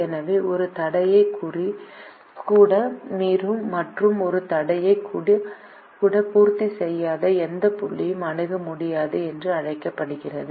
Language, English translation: Tamil, so any point which violates even one constraint and does not satisfy even one constraint is called infeasible